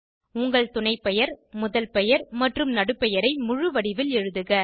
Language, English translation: Tamil, Write your surname, first name and middle name, in full form